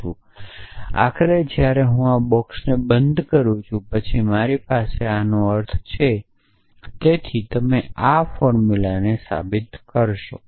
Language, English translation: Gujarati, Then, finally when I close this box then I have this implies this, so you see to prove this formula